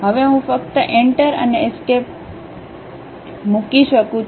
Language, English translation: Gujarati, Now, I can just put Enter and Escape